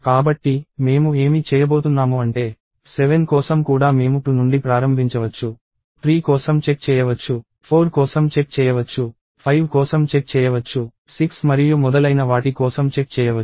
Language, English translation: Telugu, So, what I am going to do is I am going to; so as, for 7 also I can start from 2, check for 3, check for 4, check for 5, 6 and so on